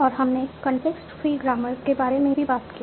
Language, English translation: Hindi, So we had talked about context free grammars